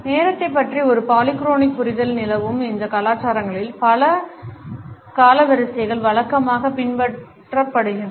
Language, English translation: Tamil, In those cultures where a polychronic understanding of time is prevalent, multiple timelines are routinely followed